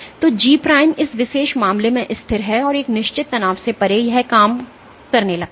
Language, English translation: Hindi, So, G prime is constant in this particular case, and beyond a certain strain it starts to decrease